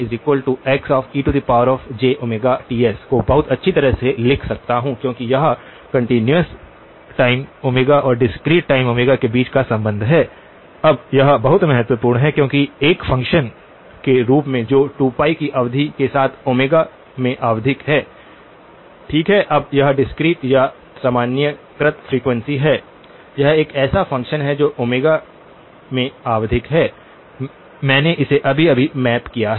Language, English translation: Hindi, So, I can very well write this xe of j omega as xe of j omega Ts, am I right because that is the relationship between the continuous time omega and the discrete time omega, now this is very important because this as a function with which is periodic in omega with period 2 pi, okay this is the discrete or the normalised frequency now, this happens to be a function that is periodic in omega, I have just mapped it